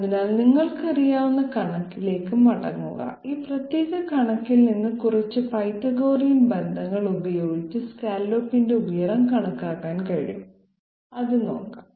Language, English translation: Malayalam, So coming back to the you know figure, this from this particular figure it is possible to calculate the scallop height by a few Pythagorean relationships let s see that